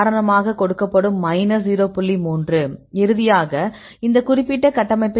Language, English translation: Tamil, 4 in the case of this particular structure